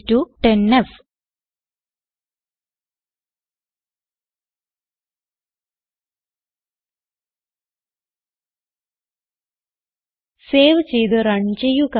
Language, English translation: Malayalam, y=10f Save Run